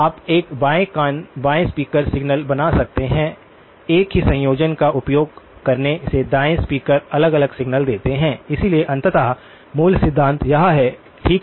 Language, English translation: Hindi, You can create a left ear left speaker signal, right speaker signals differently from using the same combination, so but ultimately the basic principle is this, okay